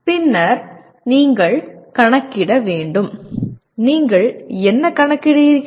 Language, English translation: Tamil, And then you have to calculate, what do you calculate